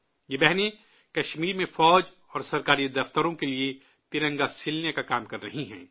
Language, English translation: Urdu, In Kashmir, these sisters are working to make the Tricolour for the Army and government offices